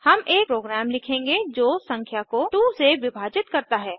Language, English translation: Hindi, We shall write a program that divides a number by 2